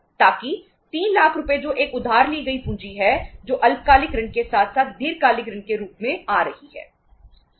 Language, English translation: Hindi, So that 3 lakh rupees which is a borrowed capital that is coming in the form of short term debt as well as the long term debt